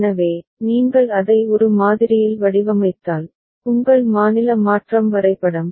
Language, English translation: Tamil, So, if you design it in one model right, your state transition diagram